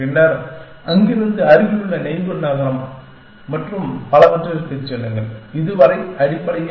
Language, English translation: Tamil, Then, from there go to the nearest neighbor and so on and so far, essentially